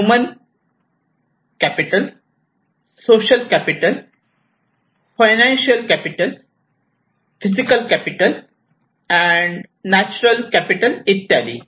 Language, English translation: Marathi, One is a human capital, social capital, financial capital and physical capital